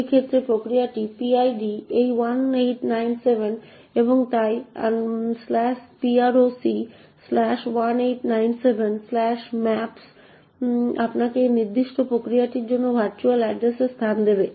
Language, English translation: Bengali, In this case the PID of the process this 1897 and therefore /proc /1897 /maps would give you the virtual address space for that particular process